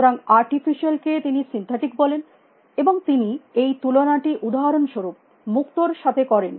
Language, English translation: Bengali, So, artificially and he makes with comparison with pearls for example